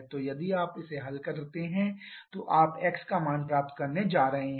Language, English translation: Hindi, So, if you solve this you are going to get the value of x